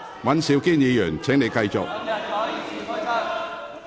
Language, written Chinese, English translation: Cantonese, 尹兆堅議員，請繼續發言。, Mr Andrew WAN please continue your speech